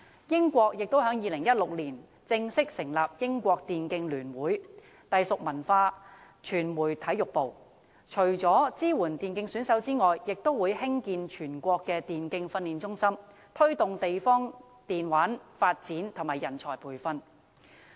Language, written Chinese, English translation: Cantonese, 英國在2016年也正式成立英國電競聯會，隸屬文化傳媒體育部，除支援電競選手外，亦會興建全國電競訓練中心，以推動地方的電玩發展和人才培訓。, In 2016 the United Kingdom formally established the British Esports Association BEA under the Department of Culture Media and Sport . Apart from supporting e - sports gamers BEA will construct a National Training Centre for Esports to promote the development of electronic gaming and train talent in the country